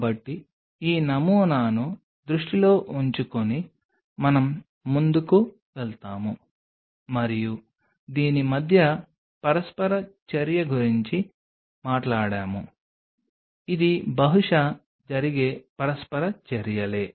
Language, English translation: Telugu, So, keeping this paradigm in mind we will move on to and of course, we talked about the interaction between this is the kind of interactions which are possibly happening